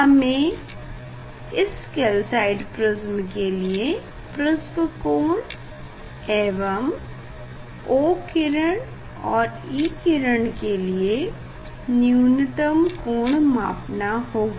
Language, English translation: Hindi, we have to major prism angle and minimum deviation of O ray and E ray